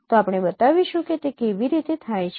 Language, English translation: Gujarati, So let me explain what does it mean